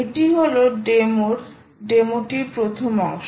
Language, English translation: Bengali, this is the first part of the demo